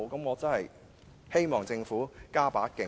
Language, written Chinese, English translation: Cantonese, 我真的希望政府加把勁。, I really hope the Government will step up its efforts